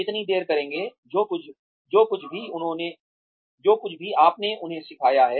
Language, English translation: Hindi, How long will, whatever you have taught them, stay